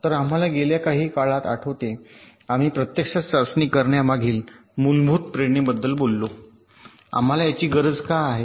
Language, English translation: Marathi, so we recall, during the last few lectures we actually talked about the basic motivation behind testing: why do we need it